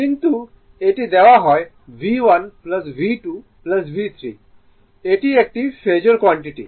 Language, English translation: Bengali, But it is given V 1 plus V 2 plus V 3 it is a Phasor quantity right